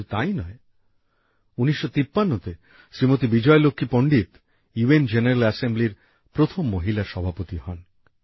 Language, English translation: Bengali, Vijaya Lakshmi Pandit became the first woman President of the UN General Assembly